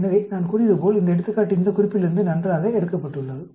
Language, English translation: Tamil, So, as I said, this example is nicely taken from this reference